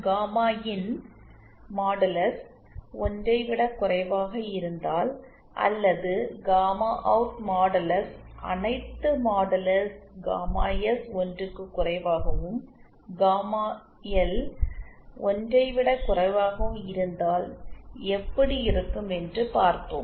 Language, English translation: Tamil, We saw that if gamma in modulus is lesser than 1, or gamma out modulus is lesser than 1 for all mod gamma S lesser than 1 and what gamma L lesser than 1